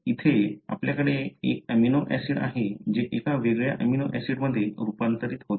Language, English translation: Marathi, Here you have an amino acid that is converted into a different amino acid